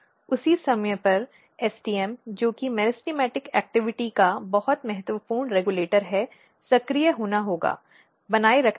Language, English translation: Hindi, At the same time STM which is very important regulator of meristematic activity has to be activated for maintaining